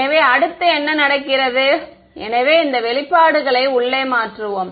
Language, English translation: Tamil, So, then what happens next, so we will substitute these expressions inside